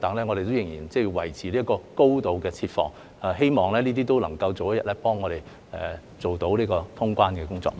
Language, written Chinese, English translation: Cantonese, 我們仍然要維持高度設防，希望這些都有助我們早日通關。, We still have to maintain a high level of defence which will hopefully help us resume normal traveller clearance soon